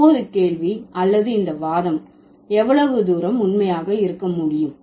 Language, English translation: Tamil, So, now the question or the concern is that how far this argument can hold true